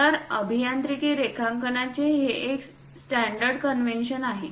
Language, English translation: Marathi, So, this is a standard convention in engineering drawing